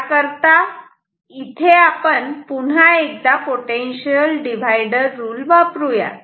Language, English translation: Marathi, Somewhere in between 0 and 0 once again you can apply potential divider rule ok